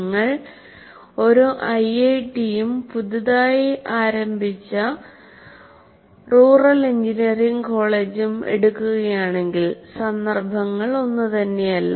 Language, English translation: Malayalam, Like if you take an IIT and a newly opened rural engineering college, the contexts are not the same